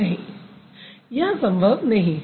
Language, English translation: Hindi, That's not possible